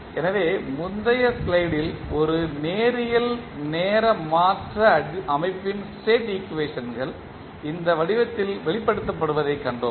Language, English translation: Tamil, So, here in the previous slide we have seen the state equations of a linear time invariant system are expressed in this form